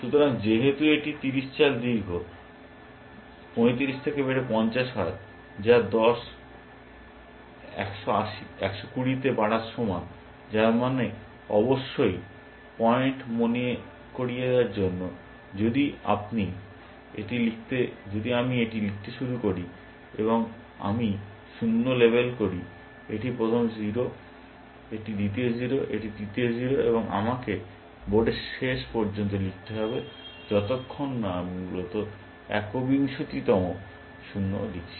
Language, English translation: Bengali, So, since it is 50 moves long 35 raise to 50, which is equal to what 10 raise to 120, which means of course, just to remind the point, if I started writing this, and I label the zeros, this is the first 0, this is the second 0, this is the third 0, and I will have to keep writing to the end of the board, till I write the one twentieth 0 essentially